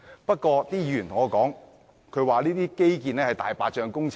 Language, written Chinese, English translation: Cantonese, 不過，有議員說，這些基建是"大白象"工程。, Nevertheless some Members said that these infrastructures are all white elephants projects